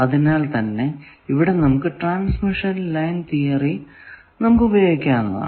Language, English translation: Malayalam, So, that is a good step forward where now we can attempt using transmission line theory to these